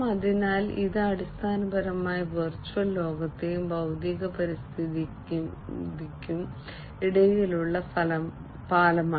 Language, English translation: Malayalam, So, it is basically the bridging between the virtual world and the physical environment